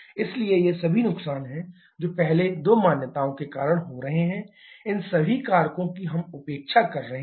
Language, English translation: Hindi, So, these all are losses that is happening because of the first two assumptions, all these factors we are neglecting